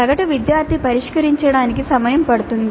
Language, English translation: Telugu, Time expected to be taken to solve by an average student